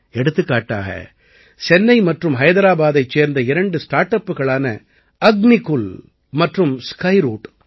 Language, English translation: Tamil, For example, Chennai and Hyderabad have two startups Agnikul and Skyroot